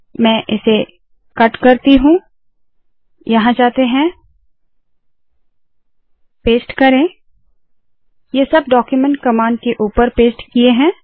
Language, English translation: Hindi, Let me cut it, go here, paste it, all of these are pasted above the document command